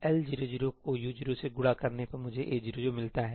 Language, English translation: Hindi, L 0 0 multiplied by U 0 0 gives me A 0 0